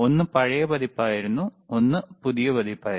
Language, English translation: Malayalam, right oOne was old version, one was new version